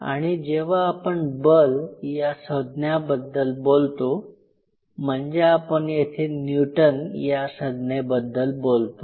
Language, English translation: Marathi, Now whenever we talk about force, we are talking about some Newton value right something